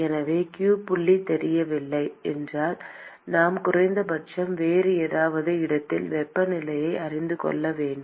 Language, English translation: Tamil, So, if q dot is not known, then we need to at least know the temperature at some other location